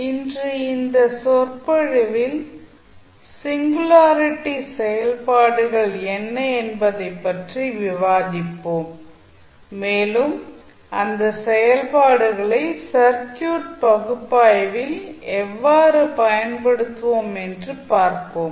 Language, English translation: Tamil, So, today in this lecture we will discuss about the singularity functions, what are those functions and we will see how we will use those functions in our circuit analysis